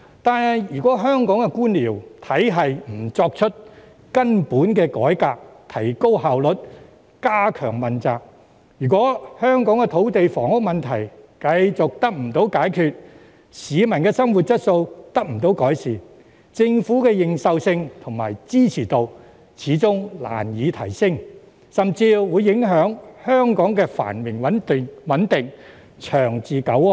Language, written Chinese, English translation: Cantonese, 但是，如果不對香港的官僚體系進行根本改革，以提高效率及加強問責；又如果香港的土地房屋問題繼續無法得到解決，市民的生活質素未能得到改善，政府的認受性和支持度始終難以提升，甚至會影響香港的繁榮穩定、長治久安。, However a failure to carry out fundamental reform to our bureaucratic system to enhance efficiency and strengthen accountability or a failure to resolve the outstanding land and housing problems would leave the quality of peoples living remain unchanged . In that case acceptance and support of the Government can hardly be enhanced and the prosperity long - term peace and stability of Hong Kong will also be undermined